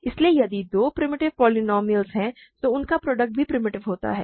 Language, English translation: Hindi, So, if two primitive polynomials are there their product is also primitive